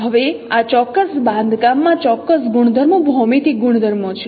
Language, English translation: Gujarati, Now this particular construct has certain properties, geometric properties